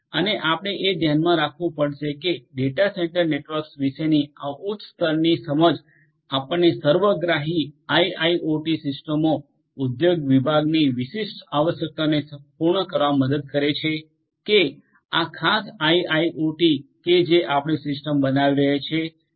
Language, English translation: Gujarati, And, this we have to keep in mind that this particular you know high level understanding of data centre networks will help us to also build IIoT systems holistically for scattering to the specific requirements of the industry segment that, this particular IIoT that you are building the system that you are building where is going to support